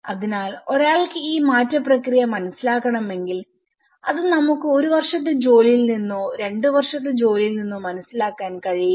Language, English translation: Malayalam, So, if one has to understand this change process, it is not just we can understand from one year work or two year work